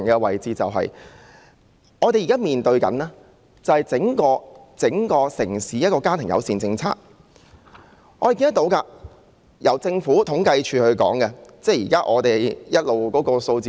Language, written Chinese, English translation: Cantonese, 回頭說我們現在面對的問題，那正是整個城市的家庭友善政策，這從政府統計處提供的數字可見一二。, Let me come back to the problem we are now facing which concerns the family - friendly policies of the entire city and can be reflected to a certain extent in the figures provided by the Census and Statistics Department